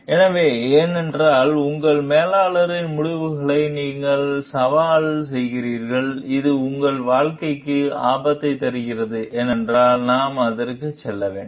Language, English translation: Tamil, So, because if you are challenging your manager s decisions and which brings risk to your career; then we should be go for it